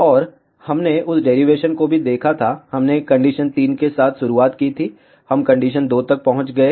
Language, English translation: Hindi, And we had seen that derivation also, we started with condition 3, we reached to condition 2